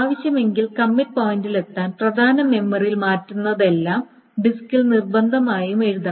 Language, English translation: Malayalam, So if necessary to reach the commit point, everything that is changed on the mean memory must be force written on the disk